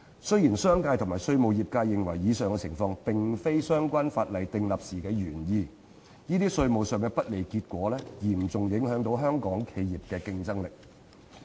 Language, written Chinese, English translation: Cantonese, 雖然商界及稅務業界認為上述情況並非相關法例訂立時的原意，但這些稅務上的不利結果嚴重影響到香港企業的競爭力。, While the commercial sector and taxation profession believe that the aforesaid situation does not represent the intent of the relevant legislation at the time of its enactment such unfavourable consequences in terms of taxation nevertheless seriously affect the competitiveness of Hong Kong enterprises